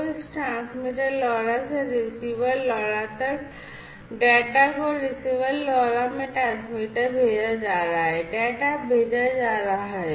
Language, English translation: Hindi, So, from this transmitter LoRa to the receiver LoRa, the data are being sent transmitter to the receiver LoRa, the data are being sent